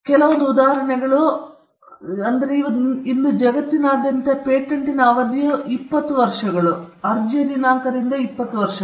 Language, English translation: Kannada, Just a few examples Today, across the globe, duration of a patent is 20 years from the date of application